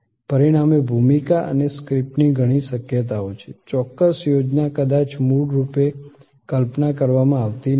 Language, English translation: Gujarati, As a result, there are many possibilities of the role and the script, the exact plan may not play out has originally conceived